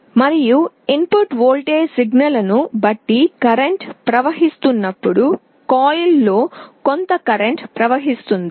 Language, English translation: Telugu, And when there is a current flowing depending on the input voltage signal there will be some current flowing in the coil